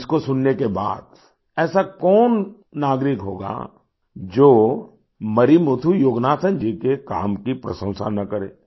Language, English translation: Hindi, Now after listening to this story, who as a citizen will not appreciate the work of Marimuthu Yoganathan